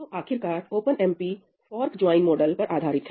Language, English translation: Hindi, So, finally, OpenMP is based on the fork join model